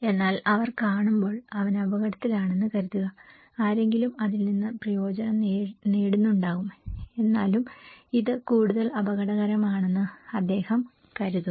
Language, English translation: Malayalam, But when they are seeing, think that he is at risk because someone is benefitting out of it, he thinks this is more risky